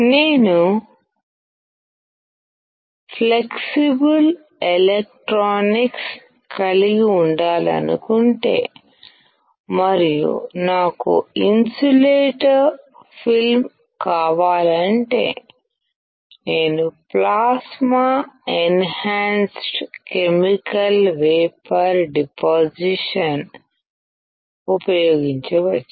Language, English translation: Telugu, But if I want to have flexible electronics and if I want the insulator film, then I can use plasma enhanced chemical vapor deposition